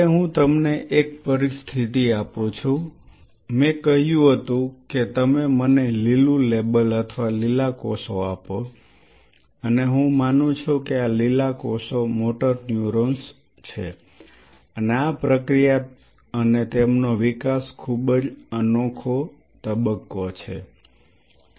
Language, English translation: Gujarati, Now, I give you a situation I said you give me the green label or green cells and I believe these green cells are say motor neurons and this process and their development may be a very unique phase